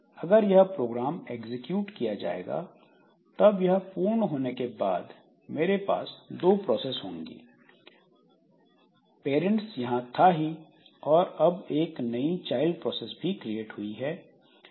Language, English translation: Hindi, Now if this program is executed then after this fork has been done so I have got two processes the parent was there and a new process child is also created